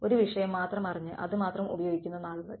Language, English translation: Malayalam, The days of just knowing one subject and using that alone